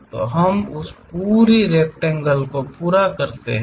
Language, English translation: Hindi, So, we complete that entire rectangle